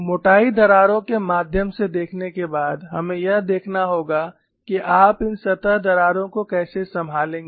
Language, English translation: Hindi, After having looked at through the thicknesses cracks, we will have to go and look at how you are going to handle these surface cracks